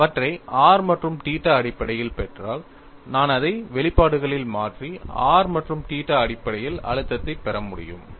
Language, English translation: Tamil, If I get them in terms of r and theta, I could substitute it in the expressions and get the stress field in terms of r and theta